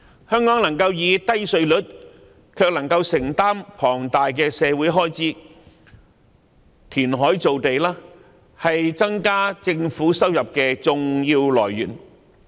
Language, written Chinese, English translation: Cantonese, 香港能夠保持低稅率，同時能夠承擔龐大的社會開支，填海造地是增加政府收入的重要來源。, All this has in turn enabled Hong Kong to maintain its low tax rates and afford its substantial social expenditures . And reclaimed land is an important source of increasing the Governments income